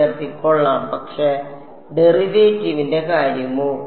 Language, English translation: Malayalam, Fine, but what about the derivative